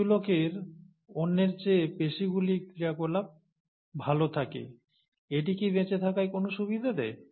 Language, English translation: Bengali, Some people have a better muscle activity than the other, does it provide a survival advantage